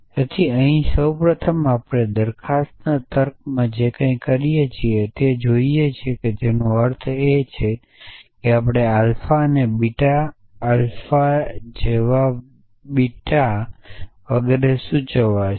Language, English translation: Gujarati, So here first of all we borrow everything we do in proposition logic which means we define things like alpha and beta alpha implies beta and so on